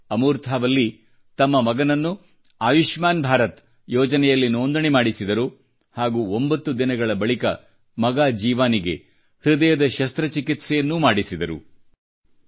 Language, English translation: Kannada, However, Amurtha Valli registered her son in the 'Ayushman Bharat' scheme, and nine days later son Jeeva had heart surgery performed on him